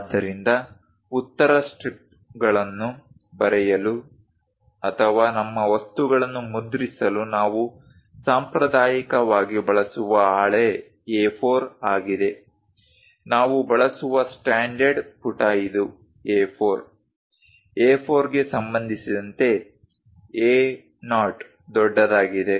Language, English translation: Kannada, So, A4 is the sheet what we traditionally use it for writing answer scripts or perhaps printing our material; the standard page what we use is this A4; with respect to A4, A0 is way large